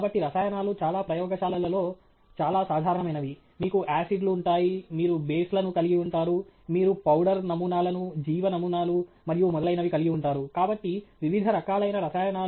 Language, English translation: Telugu, So, chemicals is something that is very common in most labs; you will have, you know, acids; you are going to have bases; you are going to have, may be, powder samples; may be biological samples and so on; so, the variety of different samples which all are essentially chemicals